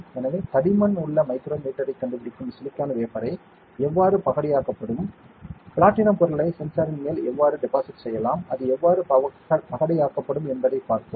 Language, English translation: Tamil, So, we have seen how silicon wafer which is find a micrometer in thickness can be diced, how platinum material can be deposited on top of the sensor, and how it will be diced